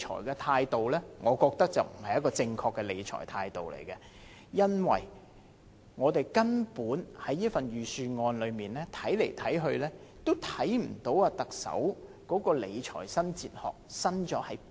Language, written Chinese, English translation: Cantonese, 然而，我覺得這種理財態度並不正確，因為在這份預算案裏面，看來看去也看不到特首的理財新哲學究竟"新"在哪裏？, However I consider it an incorrect attitude of financial management as I have looked everywhere in the Budget but still cannot find what is new about the new fiscal philosophy